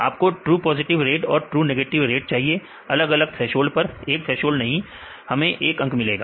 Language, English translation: Hindi, You need the true positive rates and the false positive rate at different thresholds; not just one threshold we get one number